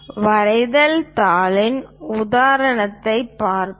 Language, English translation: Tamil, Let us look at an example of a drawing sheet